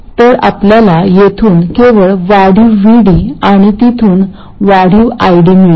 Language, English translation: Marathi, So we get only the incremental VD from this and the incremental ID from there